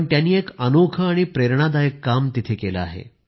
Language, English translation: Marathi, He has done an exemplary and an inspiring piece of work